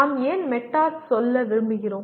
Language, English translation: Tamil, And saying why do we want to say meta